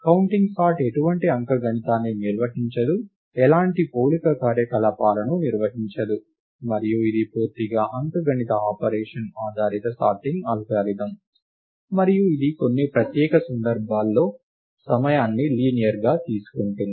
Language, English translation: Telugu, Its also clear that, counting sort does not perform any arithmetic, does not perform any comparison operations; and its completely an arithmetic operation based sorting algorithm and it takes linear time in some special cases